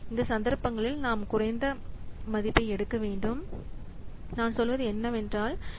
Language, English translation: Tamil, In these cases we have to take the lowest value and ignore the other values, I mean the other rates